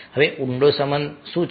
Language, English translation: Gujarati, now, deep relationship, what is deep relationship